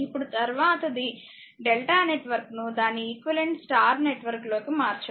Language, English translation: Telugu, Now, next stage your another thing that convert delta network to an equivalent star network